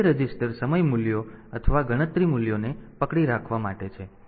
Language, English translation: Gujarati, So, they these 2 resistors are for holding the time value or the count value